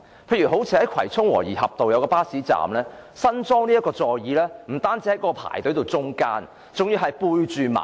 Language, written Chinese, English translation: Cantonese, 例如新近在葵涌和宜合道一個巴士站安裝的座椅，不單位處排隊行列的中間，而且背向馬路。, For example seats newly installed at a bus stop located on Wo Yi Hop Road in Kwai Chung are not only placed in the middle of the line for passengers to queue up but also installed with their back facing the carriageway